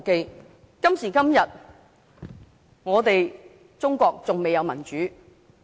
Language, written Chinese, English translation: Cantonese, 中國今時今日還未有民主。, Today there is still no democracy in China